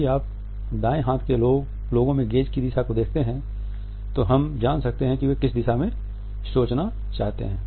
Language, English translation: Hindi, If you look at the direction of the gaze in right handed people, we can try to make out in which direction they want to think